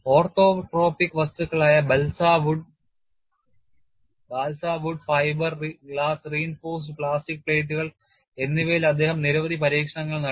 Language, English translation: Malayalam, He conducted a series of test on orthotropic materials such as balsa wood and fiber glass reinforced plastic plates